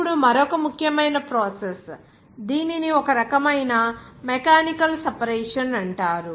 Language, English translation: Telugu, Now another important process, it is called one type of mechanical separation